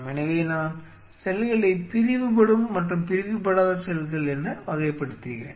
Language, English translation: Tamil, So, I am classifying the cells now as non dividing and dividing